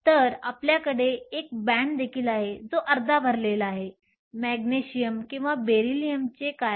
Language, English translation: Marathi, So, you also have a band that is half full what about Magnesium or Beryllium